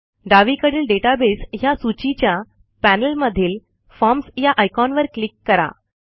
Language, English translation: Marathi, Let us click on the Forms icon in the Database list on the left panel